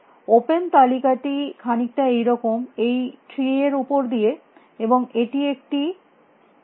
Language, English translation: Bengali, The open list is something like this across this tree, and this is a shape